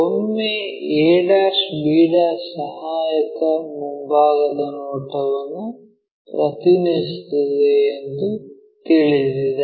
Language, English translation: Kannada, Once we know that that a' b' represents our auxiliary front view